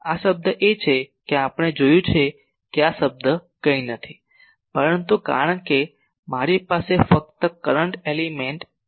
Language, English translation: Gujarati, This term is we have seen that this term is nothing, but because I have only a current element I